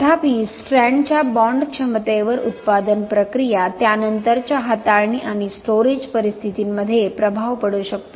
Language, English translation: Marathi, However the bond ability of the strand can be influenced during manufacturing processes, subsequent handling and storage conditions